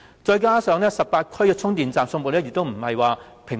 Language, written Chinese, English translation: Cantonese, 再者，各區的充電站分布亦不平均。, Besides the charging stations are not evenly distributed